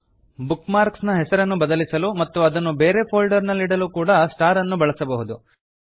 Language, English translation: Kannada, You can also use the star to change the name of a bookmark and store it in a different folder